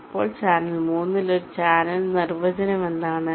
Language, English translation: Malayalam, now, in channel three, what is a definition of a channel